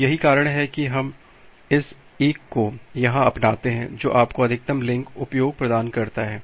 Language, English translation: Hindi, So, that is why we adopt this 1 here which gives you the maximum link utilization